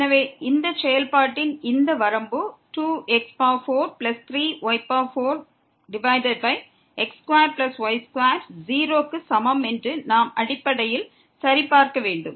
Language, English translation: Tamil, So, we need to check basically that this limit here of this function 2 4 plus 3 4 divided by square plus square is equal to 0